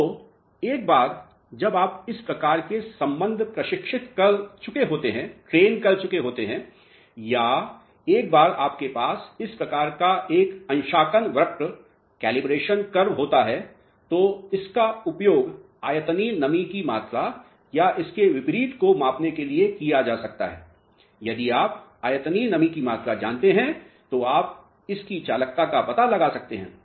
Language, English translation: Hindi, So, once you have trained this type of a relationship or once you have this type of a calibration curve this can be utilized for measuring volumetric moisture content or vice versa, if you know the volumetric moisture content you can find out its conductivity